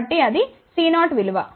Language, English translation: Telugu, So, that is the C 0 value